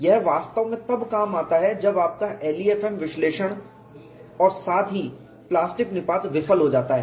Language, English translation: Hindi, It really brings out when your LEFM analysis as well as plastic collapse fails